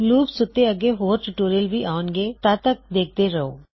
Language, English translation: Punjabi, There will be more tutorials on loops shortly So keep watching